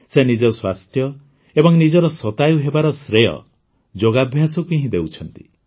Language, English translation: Odia, She gives credit for her health and this age of 100 years only to yoga